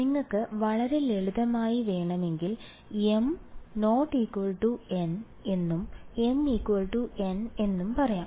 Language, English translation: Malayalam, If you wanted very simply you can say m equal not equal to n and m equal to n